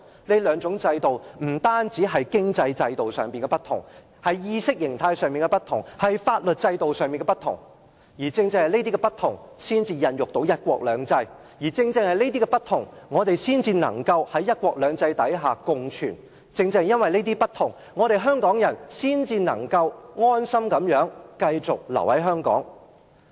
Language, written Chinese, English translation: Cantonese, 這兩套制度不單在經濟制度上不同，在意識形態及法律制度上也不同，而正正是這些不同，才孕育到"一國兩制"；正正是這些不同，我們才能夠在"一國兩制"下共存；正正因為這些不同，香港人才能夠安心繼續留在香港。, These two distinct systems differ not only economically but also in terms of ideology and the legal system . It precisely is because of these differences that one country two systems is begotten it precisely is because of these differences that we can coexist under one country two systems and it precisely is because of these differences that Hong Kong people continue to stay in Hong Kong contentedly